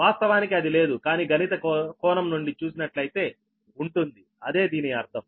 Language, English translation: Telugu, right, reality it is not there, but from mathematical point of view it is like right that the meaning is like this